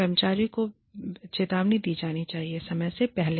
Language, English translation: Hindi, Employee should be warned, ahead of time